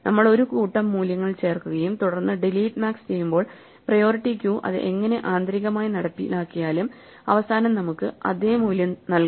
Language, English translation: Malayalam, So, we do not want the values to change, if we have a priority queue and we insert a set of values and then delete max no matter how the priority queue is actually implemented internally the delete max should give us the same value at the end